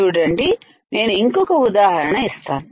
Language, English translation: Telugu, See, I will give another example